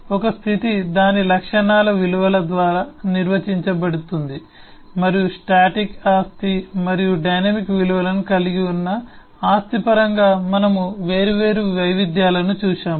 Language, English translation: Telugu, a state is defined by the values of its properties and we have seen different variations on that in terms of static property and property that have dynamic values and so on